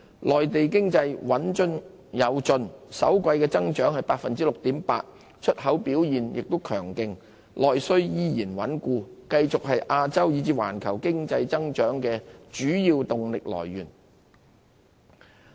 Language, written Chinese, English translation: Cantonese, 內地經濟穩中有進，首季增長 6.8%， 出口表現強勁，內需依然穩固，繼續是亞洲以至環球經濟增長的主要動力來源。, Having registered a steady and sound performance of 6.8 % of growth in the first quarter with strong showing in exports and solid domestic demand the Mainland economy remains an important driver of economic growth for Asia and the world